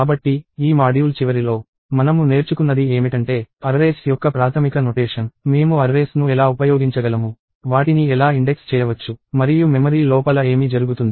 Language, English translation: Telugu, So, at the end of this module, what we have is basic notion of arrays; how we can use the arrays, how we can index them, and what happens inside memory